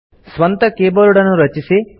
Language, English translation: Kannada, Create your own key board